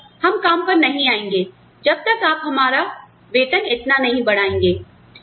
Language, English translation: Hindi, All of us, will not, we will not come to work, till you raise our salaries, by this much